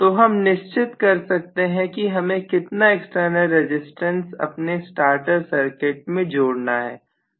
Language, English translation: Hindi, So I can decide how much of external resistance I need to include in my starter circuit